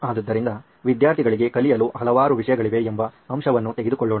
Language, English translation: Kannada, So let’s take it as a fact that there are several subjects for students to learn